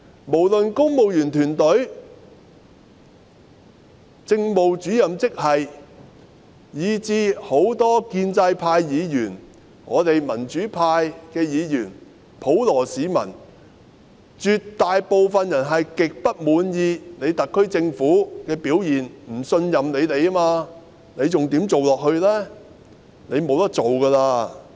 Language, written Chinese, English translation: Cantonese, 無論是公務員團隊、政務主任職系，以至很多建制派議員、我們民主派議員、普羅市民，絕大部分人也極不滿意特區政府的表現，不信任政府，她還怎樣做下去呢？, A vast majority of people including civil servants Administrative Officers and even many pro - establishment Members we pro - democracy Members and the general public are extremely dissatisfied with the performance of the SAR Government and do not trust the Government . How can she remain in office?